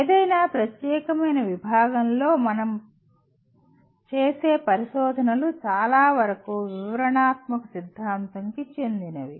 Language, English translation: Telugu, Most of the research that we do in any particular discipline is dominantly descriptive theory